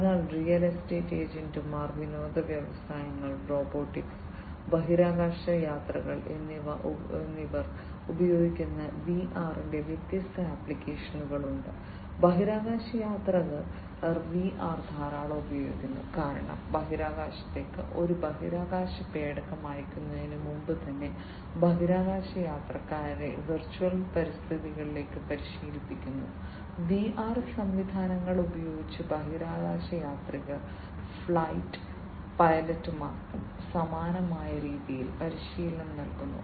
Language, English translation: Malayalam, So, there are different applications of VR in terms of you know used by real estate agents, entertainment industries, robotics, astronauts; astronauts use VR a lot because you know even before and you know and a space craft is sent to the in the space, the astronauts are trained in the virtual environments, using VR systems, the astronauts are trained similarly for the flight pilots, as well